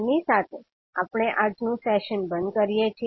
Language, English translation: Gujarati, So with this we can, close our today’s session